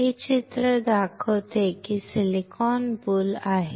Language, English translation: Marathi, This picture shows that there is a silicon boule